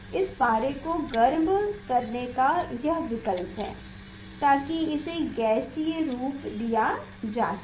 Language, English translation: Hindi, there is option to heat this gas this mercury to make it to make it gaseous form